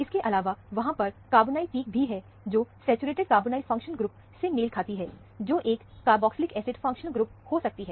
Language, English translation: Hindi, In addition to that, there is a carbonyl peak also, which corresponds to a saturated carbonyl functional group, which could be a carboxylic acid functional group